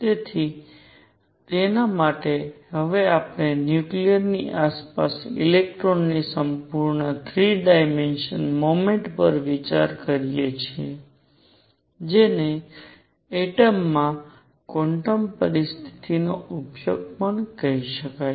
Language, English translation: Gujarati, So, for that we now consider a full 3 dimensional motion of the electron around a nucleus which also can be called the application of quantum conditions to an atom